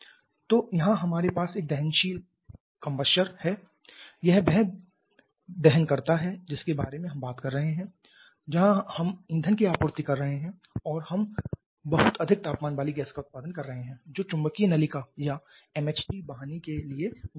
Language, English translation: Hindi, So, here is we have a combustor this is the combustor that we are talking about here we are supplying the fuel and we are producing very high temperature gas which is passing to the magnetic duct or MHD deduct after it comes out of the MHD deduct may be somewhere here then it has still very high temperature